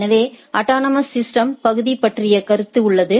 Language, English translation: Tamil, So, there is a concept of area in autonomous system